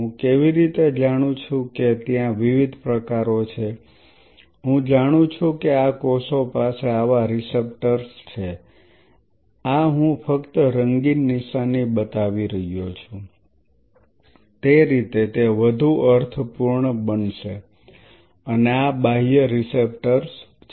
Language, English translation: Gujarati, How I know there are of different types I know that these cells have receptors like, this I am just showing the color coding that way it will make more sense to and these are external receptors